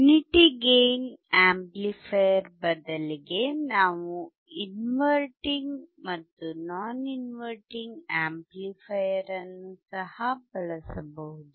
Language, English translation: Kannada, Instead of unity gain amplifier, we can also use inverting and non inverting amplifier